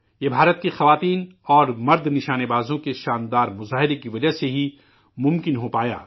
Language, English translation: Urdu, This was possible because of the fabulous display by Indian women and men shooters